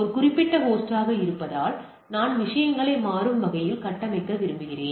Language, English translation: Tamil, Being a particular host I want to dynamically configure the things